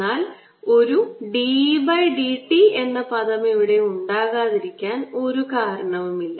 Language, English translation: Malayalam, but there is no reason why a d, e, d t term cannot be here